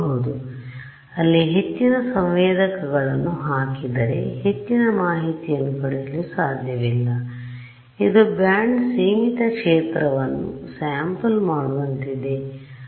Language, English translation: Kannada, So, it is if I put more sensors over there, I am not going to get more information; it is like over sampling a band limited field